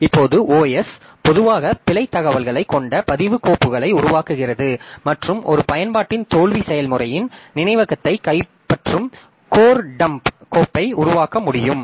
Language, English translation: Tamil, Now, OS normally generate log files that contains error information and failure of an application can generate code dump file capturing the memory of the process